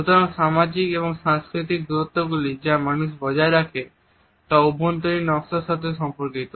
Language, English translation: Bengali, So, social and cultural distances which people maintain are interrelated with interior designs